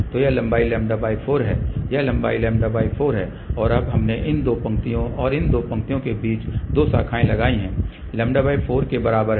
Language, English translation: Hindi, So, this length is lambda by 4 this length is lambda by 4 and now, we have put two branches in between these two lines and these lengths are also equal to lambda by 4